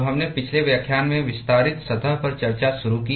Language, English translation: Hindi, So, we initiated discussion on extended surface in the last lecture